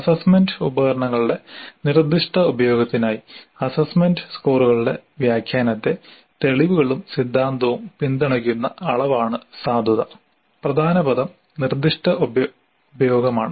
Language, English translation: Malayalam, The validity is the degree to which evidence and theory support the interpretation of evaluation scores for proposed use of assessment instruments